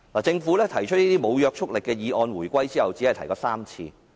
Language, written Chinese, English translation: Cantonese, 就這些無約束力議案來說，政府在回歸後只提出過3次。, The Government has proposed non - binding motions only on three occasions since the reunification